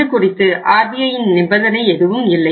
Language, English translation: Tamil, There is no stipulation by the RBI